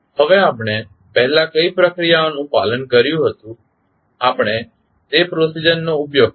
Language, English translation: Gujarati, Now, what procedure we followed previously we will just use that procedure